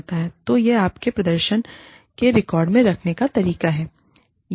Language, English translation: Hindi, So, it is a way of keeping records, of your performance